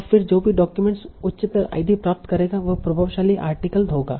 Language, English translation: Hindi, So whichever document will get the higher ID will be the influential article